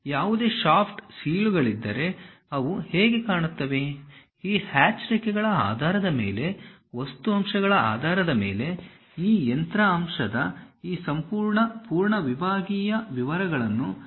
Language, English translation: Kannada, If there are any shaft seals, how they really look like; based on these hatched lines, based on the material elements, we will represent these complete full sectional details of that machine element